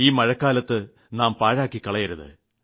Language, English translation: Malayalam, We should not let this season go waste